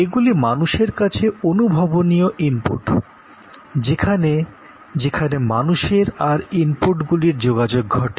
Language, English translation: Bengali, So, these are tangible inputs to people, where people and the inputs interact